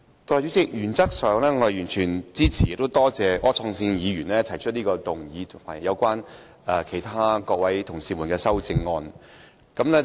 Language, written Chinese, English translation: Cantonese, 代理主席，原則上，我完全支持並多謝柯創盛議員提出的這項議案及其他同事提出的修正案。, In principle Deputy President I fully support this motion proposed by Mr Wilson OR and the amendments proposed by the other Honourable colleagues and I must thank them for all of these